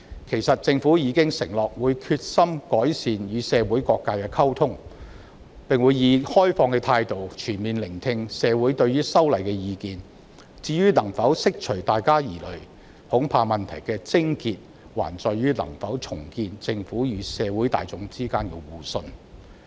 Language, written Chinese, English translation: Cantonese, 其實，政府已承諾會決心改善與社會各界的溝通，並會以開放的態度，全面聆聽社會對於修例的意見；至於能否釋除大家的疑慮，恐怕問題的癥結還在於能否重建政府與社會大眾之間的互信。, As a matter of fact the Government has pledged that it will make efforts to improve its communication with various sectors of the community and will adopt an open attitude to listen comprehensively to views of the community regarding the legislative amendment . As regards whether public concerns can be allayed I am afraid that the crux of the problem still lies in rebuilding the mutual trust between the Government and the general public